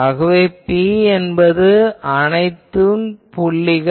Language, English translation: Tamil, So, P is all these points P